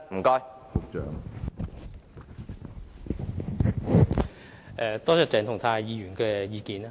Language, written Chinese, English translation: Cantonese, 感謝鄭松泰議員提出意見。, I thank Dr CHENG Chung - tai for his views